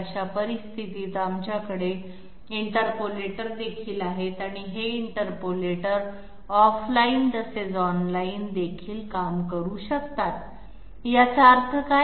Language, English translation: Marathi, In such cases also we have interpolators and these interpolators can work off line as well as online, now what does this mean